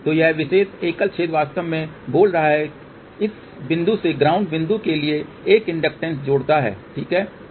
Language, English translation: Hindi, So, this particular single hole actually speaking adds inductance from this point to the ground point ok